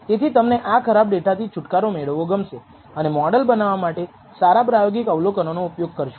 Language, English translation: Gujarati, And therefore, you would like to get rid of these bad data points and only use those good experimental observations for building the model